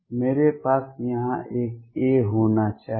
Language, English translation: Hindi, I should have an a out here